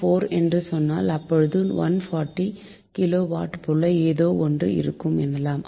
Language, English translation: Tamil, so point four is hundred forty kilo watt, something like this, right